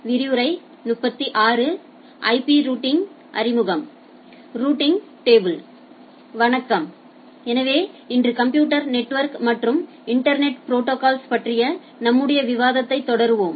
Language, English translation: Tamil, Hello, so today we will continue our discussion on Computer Networks and Internet Protocols